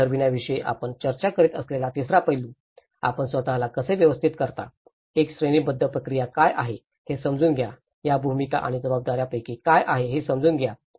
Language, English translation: Marathi, Third aspect we talk about the set up the roles, how you organize yourself, understand what is a hierarchical process, what is the understand each of these roles and responsibilities